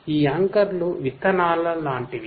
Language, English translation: Telugu, These anchors are like the seeds